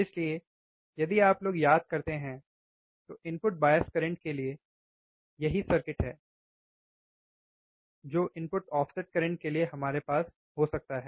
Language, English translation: Hindi, So, again you if you if you guys remember, the circuit for the input bias current is the same circuit we can have for input offset current